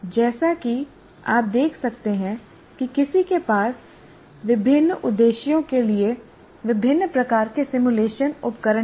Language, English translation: Hindi, So as you can see, one can have a very large variety of simulation tools for different purposes